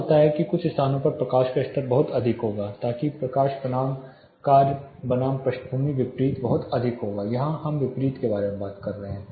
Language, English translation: Hindi, What happens is some of the locations the light levels will be too high so that the light versus the task versus the background, the contrast will be too high we are talking about the contrast here